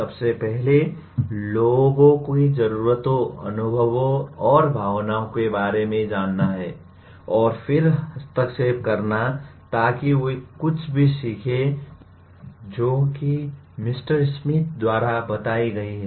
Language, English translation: Hindi, First attending to people’s needs, experiences and feelings and then intervening so that they learn particular things, whatever that are identified as stated by one Mr